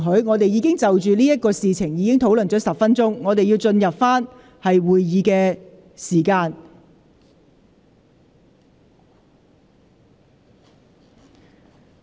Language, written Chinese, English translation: Cantonese, 我們已就此事討論了10分鐘，是時候返回原本的議題。, We have discussed this matter for 10 minutes . It is time to return to the original subject